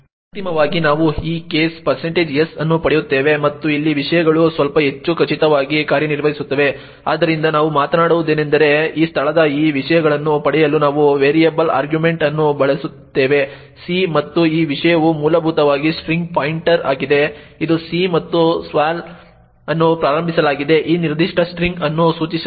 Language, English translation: Kannada, Finally we get this case % s and here things work a bit more definitely, so what we do is we use variable argument to get this contents of this location c and this content is essentially the pointer to the string this is c and sval is initialised to point to this particular string